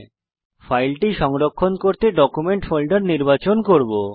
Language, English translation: Bengali, I will select Document folder for saving the file